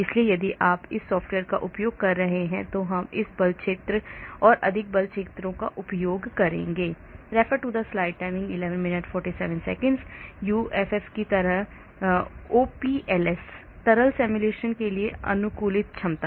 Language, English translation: Hindi, so if you are using that software we will be using this force field, more force fields; OPLS, optimized potential for liquid simulation